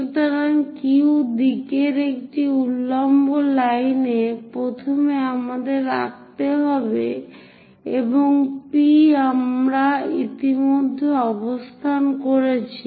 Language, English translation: Bengali, So, a vertical line all the way up in the Q direction first we have to draw and point P we have already located